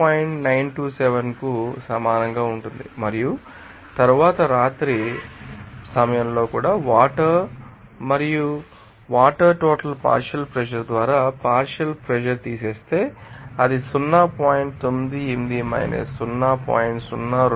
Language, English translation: Telugu, 927 and then at night also what through the partial pressure of water that also can be calculated from this total pressure by subtracting the water you know, partial pressure, so, it will be coming as 0